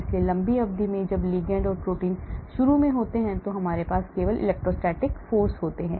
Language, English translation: Hindi, so in the long distance when the ligand and protein are there initially we start having only electrostatic forces